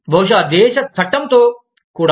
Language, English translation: Telugu, Maybe, with the law of the country, also